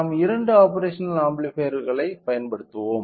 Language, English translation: Tamil, So, we will be using two operational amplifiers